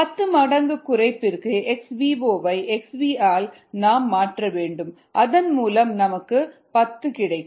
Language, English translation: Tamil, for ten fold reduction, all we needed to do was replace x v naught by x v have to be ten